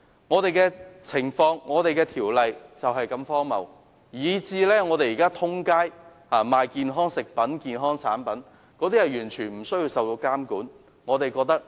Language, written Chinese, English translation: Cantonese, 香港的情況及《條例》便是如此荒謬，以致現時市面有售的健康食品和產品完全不受監管。, The situation in Hong Kong and CMO is this ridiculous with the result that health food products and other health products now offered for sale in the market are not subject to any regulation whatsoever